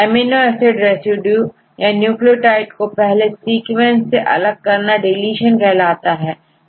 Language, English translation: Hindi, Amino acids residues or nucleotides are deleted from the first sequence, right